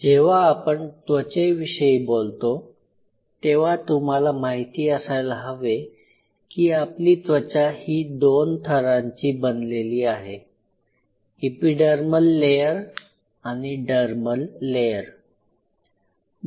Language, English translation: Marathi, So, my example was skin now if you look at the skin itself skin consists of 2 layers epidermal layer and the dermal layer